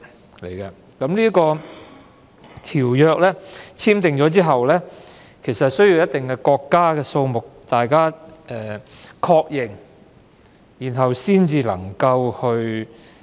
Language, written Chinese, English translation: Cantonese, 《馬拉喀什條約》簽訂後，需一定數目的國家確認後才能生效。, After it was signed the Marrakesh Treaty could only come into force after being ratified by a certain number of countries